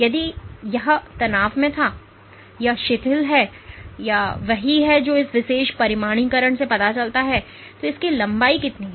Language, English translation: Hindi, If this was in the tension and this is relaxed and this is what this particular quantification shows what it tracks is the length